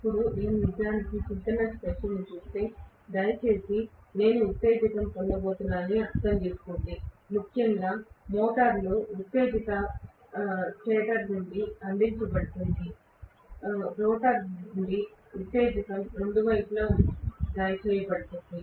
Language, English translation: Telugu, Now, if I look at actually the synchronous machine, please understand that I am going to have excitation, especially in the motor; excitation is provided from the stator, excitation provided from the rotor, both sides